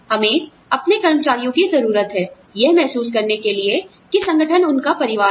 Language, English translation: Hindi, We need our employees, to feel like, the organization is their family